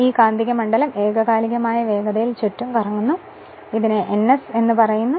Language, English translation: Malayalam, And it creates a rotating magnetic field which rotate at a synchronous speed your what you call ns right